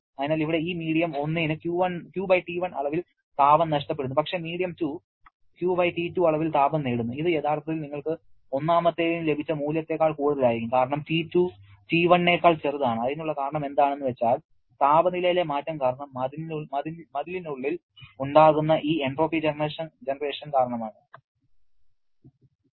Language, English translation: Malayalam, So, here this medium 1 is losing Q/T1 amount of heat but medium 2 is gaining Q/T2 amount of heat, which actually will be higher than what value you got for 1 because T2 is smaller than T1 and the reason is this entropy generation inside the wall because of the change in temperature and what about exergy